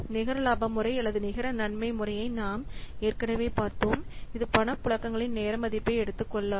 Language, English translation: Tamil, We have already seen net profitability method or net benefit method, the problem is that it doesn't take into the timing value of the cash flows